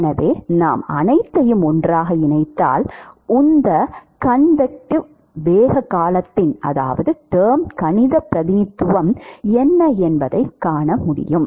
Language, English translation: Tamil, So, if we put them all together, what is the mathematical representation of momentum convective momentum term